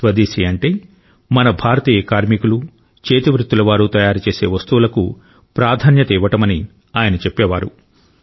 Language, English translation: Telugu, He also used to say that Swadeshi means that we give priority to the things made by our Indian workers and artisans